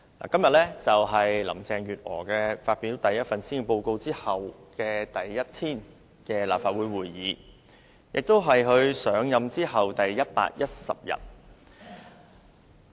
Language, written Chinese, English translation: Cantonese, 今天是林鄭月娥發表首份施政報告後立法會第一天舉行會議，亦是她上任第一百一十天。, Today the Legislative Council holds the first meeting after Carrie LAM delivered her first Policy Address and she has been in office for 110 days